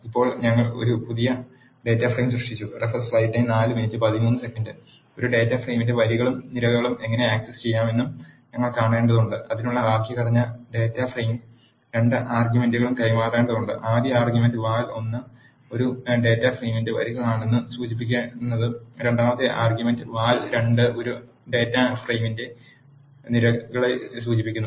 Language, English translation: Malayalam, Now that we have created a data frame, We need to see how we can access rows and columns of a data frame; the syntax for that is the data frame and 2 arguments has to be passed, the first argument val 1 refers to the rows of a data frame and the second argument val 2 refers to the columns of a data frame